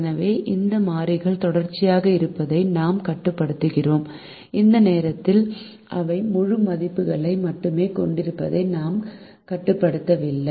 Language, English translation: Tamil, so we restrict this variable to be continuous and at the moment we do not restrict them to have only integer values